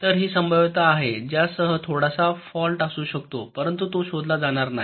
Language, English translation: Marathi, so this is the probability with which some fault may occur, but it will go undetected